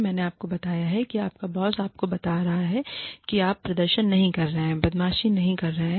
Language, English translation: Hindi, I told you, your boss telling you, that you are not performing up to the mark, is not bullying